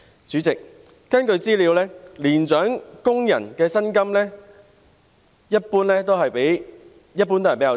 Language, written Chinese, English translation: Cantonese, 主席，根據資料，年長工人的薪金一般較低。, President according to information generally speaking the salaries of elderly workers are lower